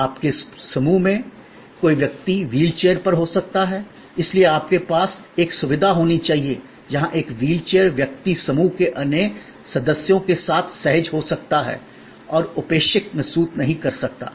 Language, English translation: Hindi, There could be somebody in your group is on a wheel chair, so you have to have a facilities, where a wheel chair person can be comfortable with the other members of the group and not feel neglected or slighted